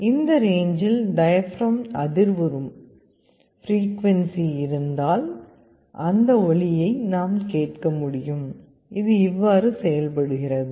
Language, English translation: Tamil, If there is a frequency with which the diaphragm is vibrating in this range, we will be able to hear that sound; this is how it works